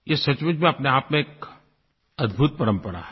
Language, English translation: Hindi, This is indeed a remarkable tradition